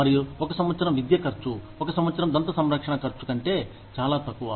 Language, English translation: Telugu, And, one year of education may cost, much lesser than, one year of dental care